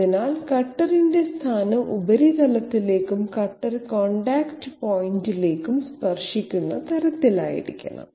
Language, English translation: Malayalam, So the cutter position has to be such that it should be tangential to the surface and the cutter contact point